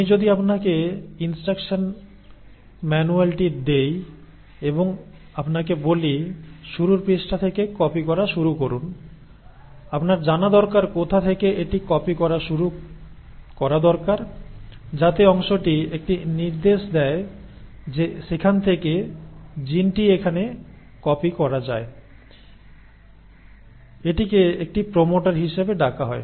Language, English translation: Bengali, So if I give you the instruction manual and I tell you, start copying from the start page, so you need to know from where to start copying it so that portion from where it gives an the instruction that the gene can be copied from here on is called as a “promoter”